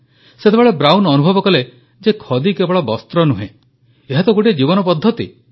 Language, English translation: Odia, It was then, that Brown realised that khadi was not just a cloth; it was a complete way of life